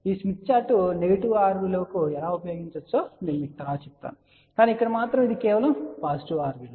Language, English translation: Telugu, I will tell you how this smith chart can be use for negative r value also, but here it is only for the positive r value